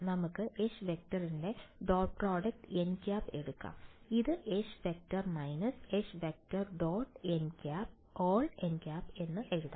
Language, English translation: Malayalam, Let us take the dot product of H along n right, so this can be written as H minus H dot n hat